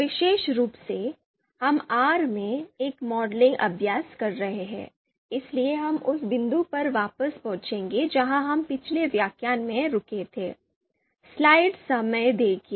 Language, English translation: Hindi, Specifically, we have being doing a modeling exercise in R, so we will get back to that point where we stopped in the previous lecture